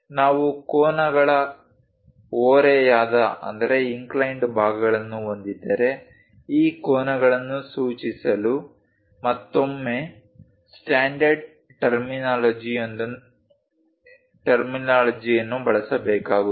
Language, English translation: Kannada, If we have angles inclined portions, again one has to use a standard terminology to denote this angles